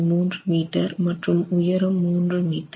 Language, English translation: Tamil, 3 meters in length and 3 meters in height